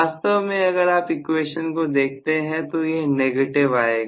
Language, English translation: Hindi, In fact, if you look at the equation it will come out to be negative